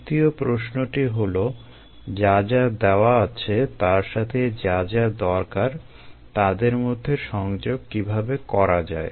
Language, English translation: Bengali, the third question: how to connect what is needed to what is given